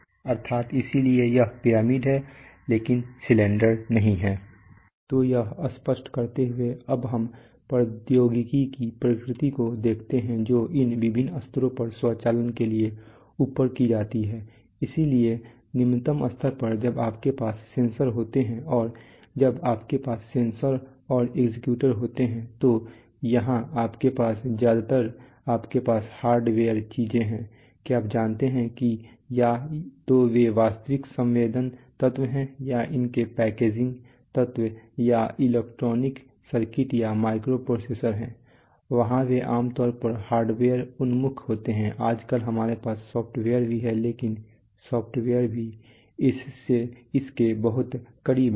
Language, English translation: Hindi, If you look at, so having clarified that let us look at the nature of technology which is used for automation at these various levels so at the at the lowest level when you have when you have sensors and when you have sensors and actuators, so here you have mostly you have hardware things are you know either they are actual sensing elements or their packaging elements or electronic circuits or micro processors, there they are generally very hardware oriented nowadays we are also having software along with that but software is also very close